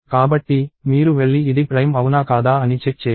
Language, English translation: Telugu, So, you go and check if this is prime or not